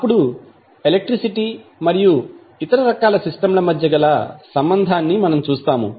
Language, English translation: Telugu, Then, we will see the relationship between electricity and the other type of systems